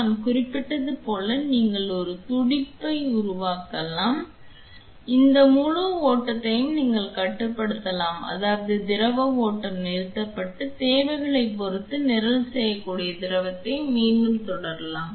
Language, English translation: Tamil, You can even create a pulse pulsating like I mentioned you could have this entire flow controlled you can play I mean have the fluid flow stopped and then again resume the fluid even that can be programmed depending on the requirements